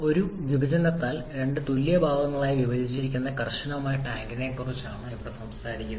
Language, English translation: Malayalam, Here you are talking about the rigid tank which is divided into 2 equal parts by a partition